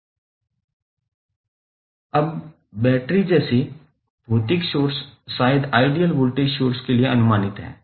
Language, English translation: Hindi, Now, physical sources such as batteries maybe regarded as approximation to the ideal voltage sources